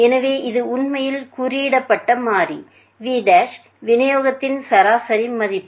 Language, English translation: Tamil, So, that the coded variable v is basically the main value